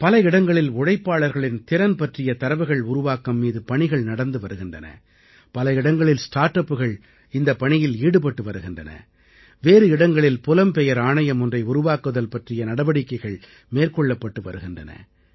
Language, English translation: Tamil, For example, at places skill mapping of labourers is being carried out; at other places start ups are engaged in doing the same…the establishment of a migration commission is being deliberated upon